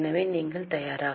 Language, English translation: Tamil, So, are you prepared